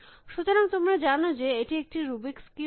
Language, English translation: Bengali, So, you know this is a rubrics cube